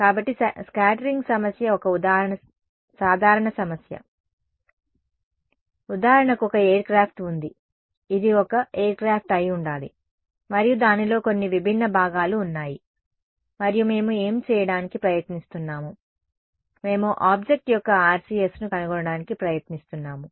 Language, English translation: Telugu, So, scattering problem a typical problem is for example, there is a aircraft right, this is supposed to be an aircraft and it has some various components inside it and what are we trying to do, we are trying to find out the RCS of this object now, if I were to solve this